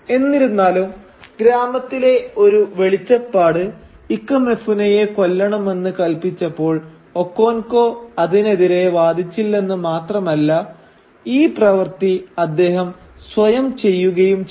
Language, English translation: Malayalam, However, when a village oracle commands that Ikemefuna should be put to death, not only does Okonkwo not protest against this but indeed he does the deed himself